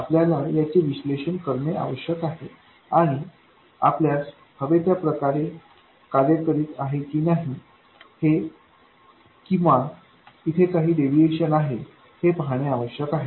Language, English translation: Marathi, We need to analyze this and see whether it behaves exactly the way we wanted or are there some deviations